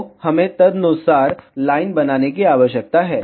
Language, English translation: Hindi, So, we need to make the line accordingly